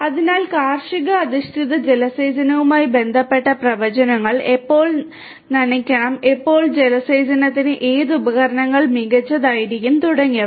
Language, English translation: Malayalam, So, predictions with respect to farm based irrigation you know when to irrigate what to irrigate which equipments will be better and so on